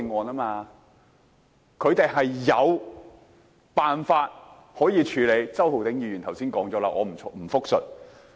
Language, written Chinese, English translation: Cantonese, 他們是有辦法可以處理的，周浩鼎議員剛才亦有提及，我不再複述。, They are able to do so by certain means ones which were also mentioned by Mr Holden CHOW just now . So I am not going to repeat his points